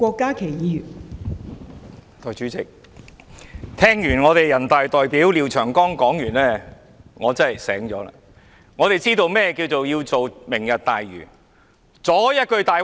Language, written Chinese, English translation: Cantonese, 代理主席，聽罷人大代表廖長江議員的發言，我真的醒悟了，我們明白為何要推行"明日大嶼願景"計劃。, Deputy President having heard the Deputy to the National Peoples Congress NPC Mr Martin LIAO speak a revelation dawned on me . I realized why the Lantau Tomorrow Vision the Vision has to be implemented